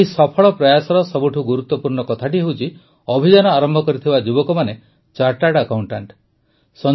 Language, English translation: Odia, The most important thing about this successful effort is that the youth who started the campaign are chartered accountants